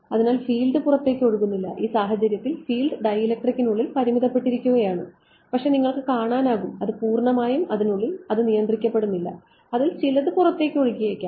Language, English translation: Malayalam, So, the field does leak out it is not the case that the field is strictly confined within the dielectric the field does leak out exact we will see it is not confined purely inside some of it does leak out